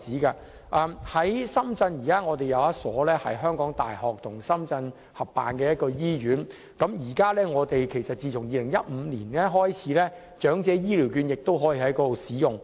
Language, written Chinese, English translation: Cantonese, 現時深圳有一所由香港大學與深圳合辦的醫院，自2015年開始，長者醫療券亦可以在那裏使用。, At present in Shenzhen there is a hospital co - established by the University of Hong Kong and the Shenzhen authorities where elderly health care vouchers can also be used since 2015